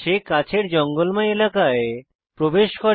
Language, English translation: Bengali, He enters the nearby bushy area